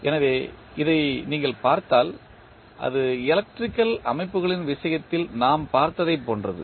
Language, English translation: Tamil, So, if you see it is similar to what we saw in case of electrical systems